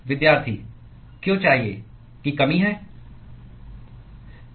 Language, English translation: Hindi, Why should because of there is a lack of